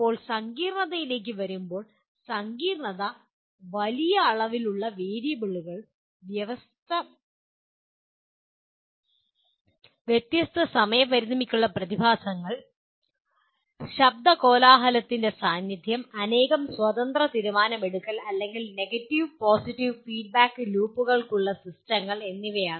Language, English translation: Malayalam, Now coming to what is a complex, complexity is characterized by large number of variables, phenomena with widely different time constraints, presence of noise, independent multiple decision making, and or systems with a number of negative and positive feedback loops